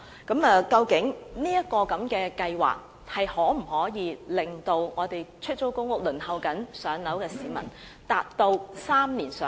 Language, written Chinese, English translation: Cantonese, 究竟這計劃可否令正在輪候出租公屋的市民能在3年內"上樓"？, Can the introduction of GSH make it possible for people waiting for PRH units to receive housing allocation within three years?